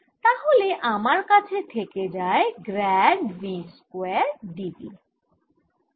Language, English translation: Bengali, so i i am left with grade v square d v